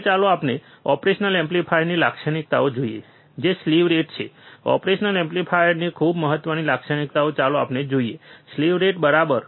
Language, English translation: Gujarati, Now, let us see the other characteristics of an operational amplifier which is the slew rate, very important characteristics of the operational amplifier let us see, slew rate right